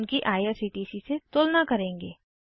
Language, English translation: Hindi, We will compare them with IRCTC